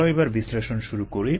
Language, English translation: Bengali, ok, let's begin the analysis